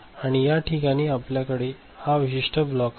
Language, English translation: Marathi, Now, here in this place we are having this particular block